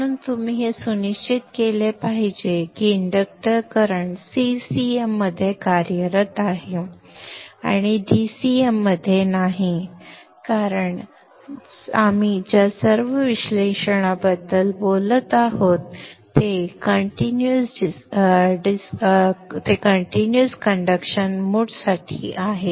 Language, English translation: Marathi, So you should ensure that the inductor current is operating in CCM and not in DCM because all the analysis that we have been talking about is for a continuous conduction mode